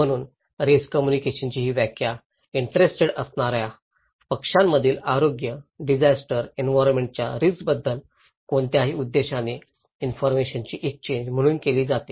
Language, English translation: Marathi, So risk communication is defined as any purposeful exchange of information about health, disaster, environmental risks between interested parties